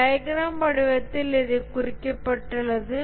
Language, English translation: Tamil, Represented this in the form of a diagram